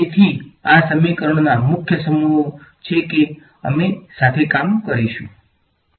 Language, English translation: Gujarati, So, these are the main sets of equations that we will work with alright